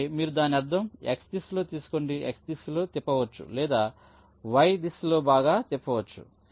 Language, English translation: Telugu, you either take a mirror of it in the x direction, rotated it in the x direction, or rotated it in the y direction